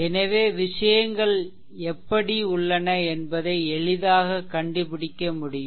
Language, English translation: Tamil, So, you can easily make out that how things are